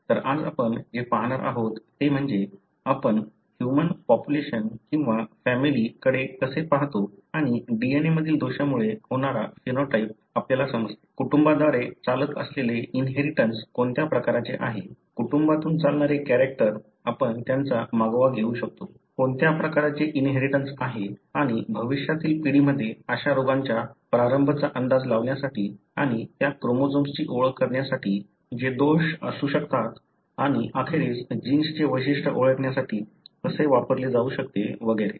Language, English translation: Marathi, So, today what we are going to look into is how we look into the human population, or the family and understand the phenotype that you see which is resulting from the defect in the DNA; we can track them as to what kind of inheritance that is running through the family, the characters that run through the family; what kind of inheritance is there and how that information can be used to predict the onset of such diseases in the future generation and also to identify the chromosomes that could have the defect and eventually the gene characterization and so on